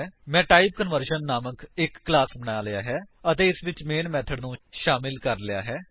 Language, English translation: Punjabi, I have created a class TypeConversion and added the main method to it